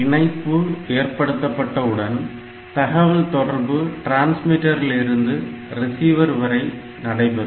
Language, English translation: Tamil, Once this connection is established; so, it will the transmitter to receiver